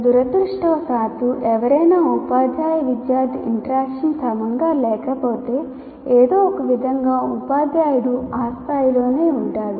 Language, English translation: Telugu, And unfortunately, if somebody starts with a poor teacher student interaction, somehow the teacher continues to stay at that level, which is unfortunate